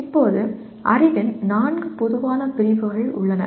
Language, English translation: Tamil, Now, there are four general categories of knowledge which we have mentioned